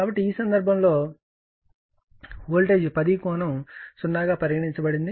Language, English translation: Telugu, So, in this case your what you call voltage is given 10 angle 0